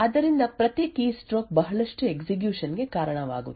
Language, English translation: Kannada, So, each keystroke results in a lot of execution that takes place